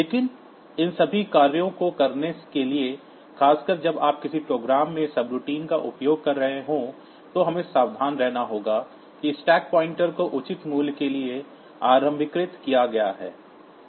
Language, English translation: Hindi, But for doing all these operations, for particularly when you are using subroutines in a program, we have to be careful that the stack pointer is initialized to proper value